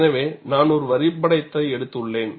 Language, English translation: Tamil, So, I have taken one diagram